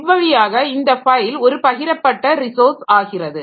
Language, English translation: Tamil, So, this way this file becomes a shared resource